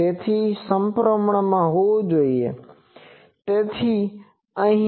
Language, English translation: Gujarati, So, this should be symmetric, so here